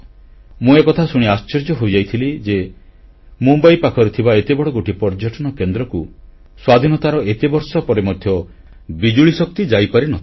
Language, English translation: Odia, I was surprised to know that despite being such a prominent center of tourism its close proximity from Mumbai, electricity hadn't reached Elephanta after so many years of independence